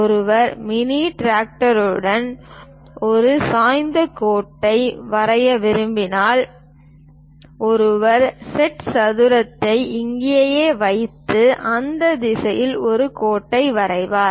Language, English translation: Tamil, If one would like to draw an inclined line with mini drafter, one will one will keep the set square there and draw a line in that direction